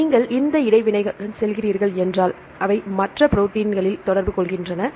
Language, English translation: Tamil, Then you go with this interactions, they have the interaction in other proteins